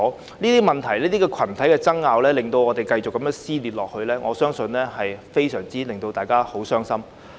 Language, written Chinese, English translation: Cantonese, 如果這些問題和群體爭拗令社會繼續撕裂，我相信會令大家非常傷心。, I believe people will be greatly saddened if society is continuously torn apart by such issues and disputes among different groups